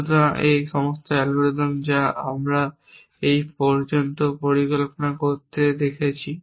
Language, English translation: Bengali, So, all this algorithms that we are have seen of planning so far